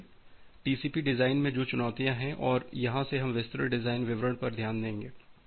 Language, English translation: Hindi, So, the challenges which is there in the TCP design, and from here we will look into the design details design in details